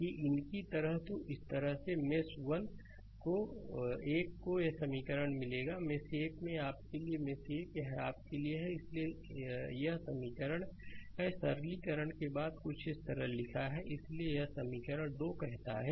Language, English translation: Hindi, So, if we move like these, so this way mesh 1 will get this equation, mesh 1 your for mesh 1, if you write I wrote you, I wrote it for you, so this is the equation right, I wrote something after simplification is like this, so this is equation 2 say